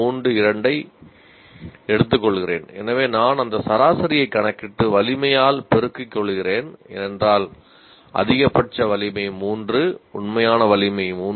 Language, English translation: Tamil, 6 through 2 and so on, I compute that average and multiply by the strength because the maximum strength is 3, the actual strength is 3